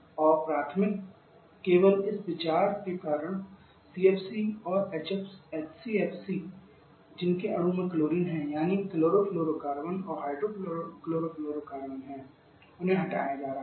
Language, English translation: Hindi, And primary because of this consideration only the CFC and HCFC which has chlorine in their molecule that is chlorofluorocarbon and hydrochlorofluorocarbons has been or are being phased out